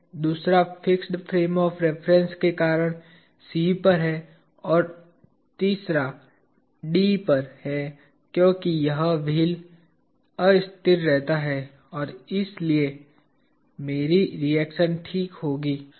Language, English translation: Hindi, The other is at C due to fixed frame of reference and the other one is at D due to this wheel remaining un moveable, right and therefore, I will have a reaction ok